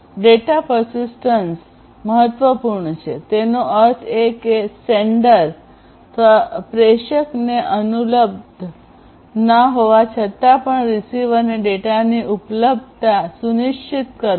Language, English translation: Gujarati, So, data persistence is important; that means, ensuring the availability of the data to the receiver even after the sender is unavailable